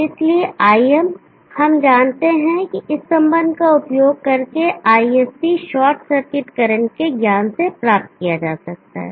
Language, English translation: Hindi, So IM we know can be obtained from the knowledge of ISC short circuit current using this relationship